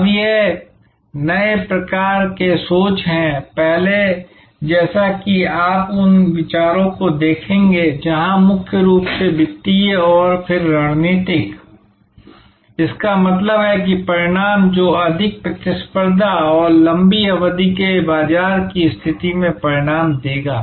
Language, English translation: Hindi, Now, this is the new type of thinking, earlier as you will see the considerations where mainly financial and then strategic; that means outcomes that will result in greater competitiveness and long term market position